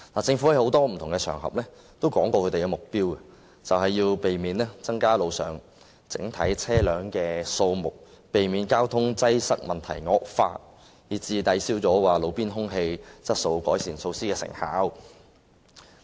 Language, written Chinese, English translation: Cantonese, 政府曾在多個不同場合提出其目標，便是要避免增加路上整體車輛的數目，避免交通擠塞問題惡化，以致抵銷路邊空氣質素改善措施的成效。, The Government has put forward its objective on various occasions . It is to prevent the overall number of vehicles on road from increasing and prevent deterioration of the traffic congestion problem from offsetting the effectiveness of the roadside air quality improvement measures